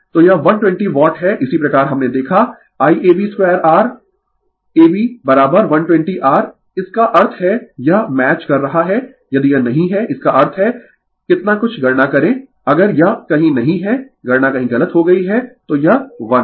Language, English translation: Hindi, So, it is 120 watt similarly, we saw I ab square R ab is equal to 122 R; that means, it is matching if it is not; that means, how much calculate some if it is not somewhere calculation has gone wrong somewhere right so, this is 1